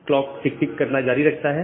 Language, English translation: Hindi, So, the timer the clock will keep on ticking